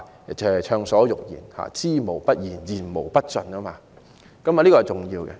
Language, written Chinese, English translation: Cantonese, 大家可以暢所欲言，知無不言，言無不盡，這一點很重要。, It is important that we can speak our mind laying all cards on the table without reservation